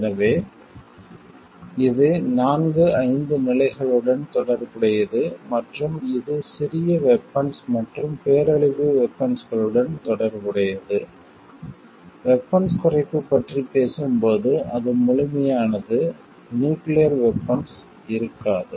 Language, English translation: Tamil, So, it has like it relates to all the four five stages and, it relate to small arms conventional weapons and weapons of mass destruction, when we talk of disarmament it is complete like, we go for like this there will be no nuclear weapon